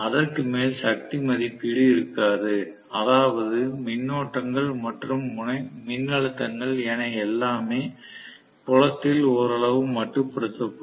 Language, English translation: Tamil, It will not have a power rating more than that, which means the currents and the voltages; everything will be somewhat limited in the field